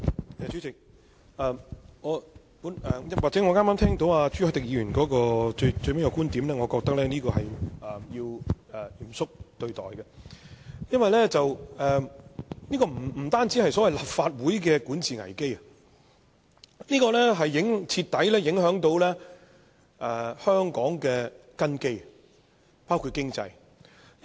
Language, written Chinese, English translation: Cantonese, 代理主席，朱凱廸議員發言最後提到一個觀點，我認為需要嚴肅對待，因為這不單關乎立法會的管治危機，更會徹底影響香港的根基，包括經濟方面。, Deputy President I think we ought to take the last point raised by Mr CHU Hoi - dick seriously . This not only concerns the governance crisis of the Legislative Council but also strikes at the very foundation of Hong Kong especially in the economic aspect